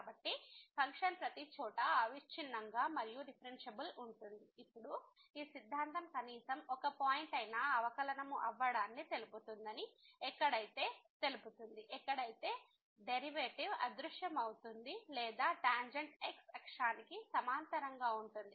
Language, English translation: Telugu, So, the function is continuous and differentiable everywhere then this theorem says that there will be at least one point where the derivative will vanish or the tangent will be parallel to